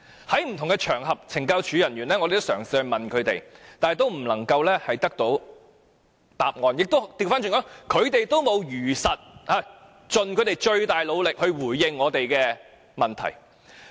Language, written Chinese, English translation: Cantonese, 在不同的場合，我們嘗試詢問懲教署人員，但都得不到答案，他們沒有如實盡最大努力回應我們的提問。, In many occasion we brought up our questions to CSD officers but we got no answers as they had not seriously replied to us